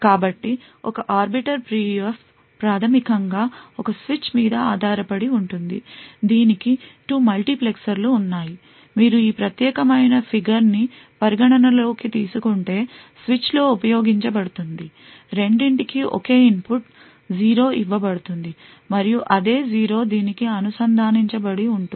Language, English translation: Telugu, So an Arbiter PUF fundamentally is based on a switch, so it has 2 multiplexers which is used in the switch if you consider this particular figure, both are given the same input that is 0 over here and the same 0 is connected to this as well